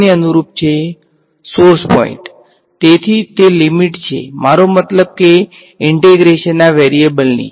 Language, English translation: Gujarati, The source points right; so, those are the also the limits of I mean the variable of integration right